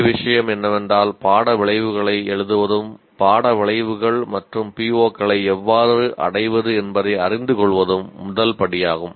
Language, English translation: Tamil, The main thing is writing course outcomes and knowing how to compute attainment of course outcomes and POs is the first step